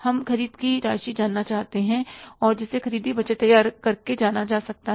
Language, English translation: Hindi, We want to know the amount of purchases and that will be possible to be known by preparing the purchase budget